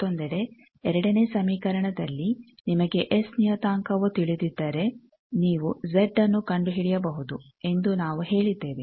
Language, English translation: Kannada, On the other hand, this we have say that the second equation that is if you know S parameter, you can find Z